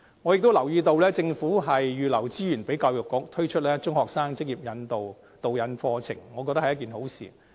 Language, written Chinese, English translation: Cantonese, 我亦留意到政府預留資源給教育局，推出中學生職業導引課程，我覺得是一件好事。, I also notice that the Government has reserved some resources to the Education Bureau for launching a career taster programme for secondary school students which is a good deed to me